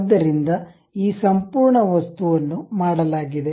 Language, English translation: Kannada, So, this entire object is done